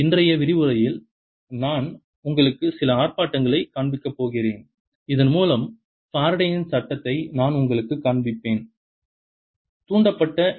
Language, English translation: Tamil, in today's lecture i am going to show you some demonstrations whereby i'll show you faraday's law, how an induced e m f lights a bulb